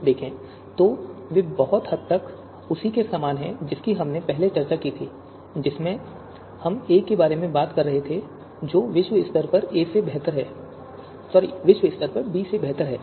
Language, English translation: Hindi, So if you look at you know these three sub scenarios, they are very similar to what we discussed in the you know you know you know first one wherein we were talking about a is globally better than b